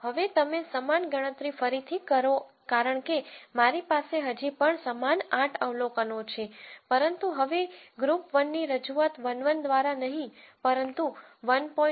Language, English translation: Gujarati, Now, you redo the same computation because I still have the same eight observations but now group 1 is represented not by 1 1, but by 1